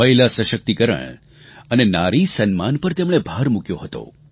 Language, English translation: Gujarati, He stressed on women empowerment and respect for women